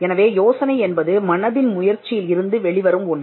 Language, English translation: Tamil, So, an idea is something that comes out of a mental effort